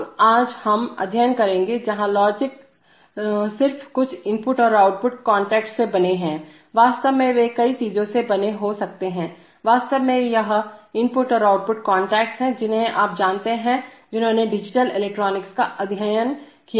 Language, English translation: Hindi, Now today we will study, where the logics are just made of some input and output contacts, in fact they can be made of many things, they can be, actually this input and output contacts are, you know those who have studied digital electronics